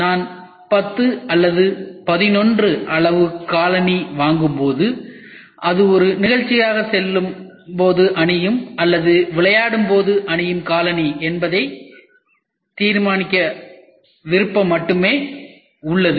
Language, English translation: Tamil, When I buy a shoe of size number 10 or 11 for example, I only have the option of deciding whether it is a party issue or a sport shoe